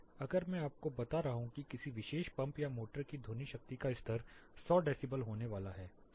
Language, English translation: Hindi, If I am telling you that the sound power level of a particular pump or a motor is going to be 100 decibel